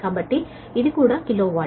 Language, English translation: Telugu, so this is also kilo watt